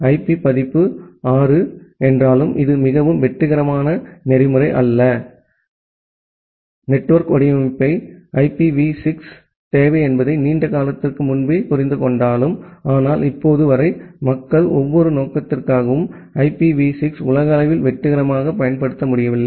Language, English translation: Tamil, Although IP version 6 is not a very successful protocol and although the network design understood long back that IPv6 is required, but till now people are not able to successfully deploy IPv6 globally for every purpose